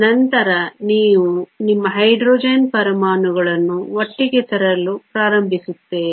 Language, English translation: Kannada, Then you start to bring your Hydrogen atoms together